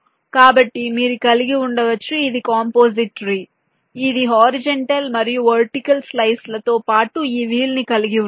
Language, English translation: Telugu, this is a composite tree which consists of horizontal and vertical slices, as well as this wheel